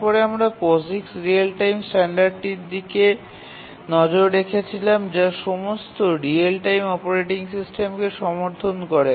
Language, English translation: Bengali, And then we looked at a standard, the POIX real time standard, which all real time operating systems must support